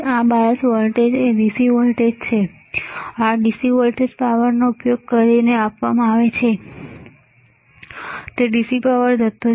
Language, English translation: Gujarati, This bias voltage is a DC voltage this DC voltage is given using a power supply it is a DC power supply